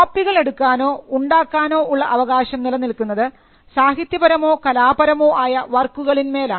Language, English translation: Malayalam, The right to copy or make for the copies exists in literary or artistic works, it exists in films, in sound recordings as well